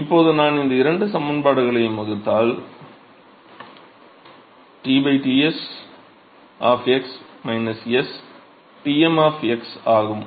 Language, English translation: Tamil, So, now, if I divide these 2 expressions minus T divided by Ts of x minus Tm of x